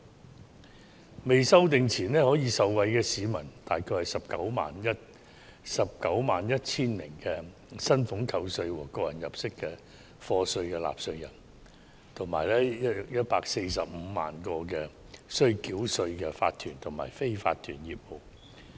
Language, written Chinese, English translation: Cantonese, 《條例草案》尚未修正前，可以受惠的大約為191萬名須繳交薪俸稅和個人入息課稅的納稅人，以及 145,000 個須繳稅的法團和非法團業務。, Before the Bill is amended about 1 910 000 taxpayers who need to pay salaries tax and tax under personal assessment and 145 000 tax - paying incorporated and unincorporated businesses would benefit